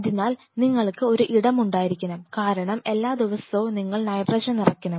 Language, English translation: Malayalam, So, you have to have a space because every day you have to replenish nitrogen